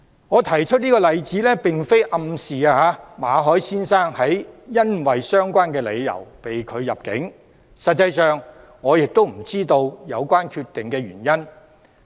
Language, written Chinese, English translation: Cantonese, 我提出這個例子並非暗示馬凱先生是因為相關理由被拒入境，實際上我不知道有關原因。, In giving these examples I am not implying that Mr Victor MALLET was refused entry because of these reasons